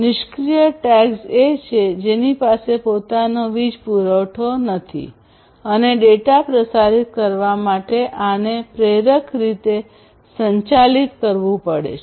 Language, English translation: Gujarati, Passive tags are the ones on the other hand which do not have so and these will have to be powered inductively in order to transmit data